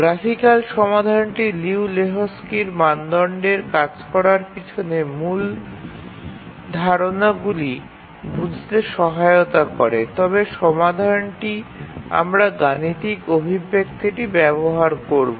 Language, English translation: Bengali, The graphical solution helps us understand how the Liu Lejutski's criterion works, the main concepts behind the Liu Lehuski's criterion, but really work out the solution we'll use the mathematical expression